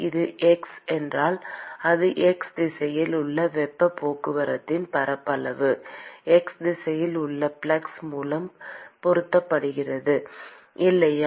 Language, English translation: Tamil, Supposing if it is x, it is the area of heat transport in x direction multiplied by the corresponding flux in the x direction, right